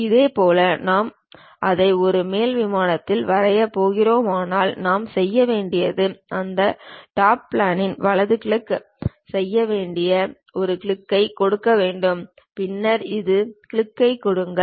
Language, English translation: Tamil, Similarly, if we are going to draw it on top plane what we have to do is give a click that is right click on that Top Plane, then give a left click on that gives you top plane